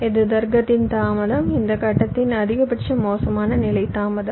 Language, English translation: Tamil, so what we are saying is that this is the delay of the logic, maximum worst case delay of this stage